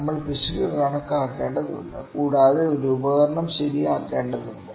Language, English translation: Malayalam, We need to calculate the error and we need to correct an instrument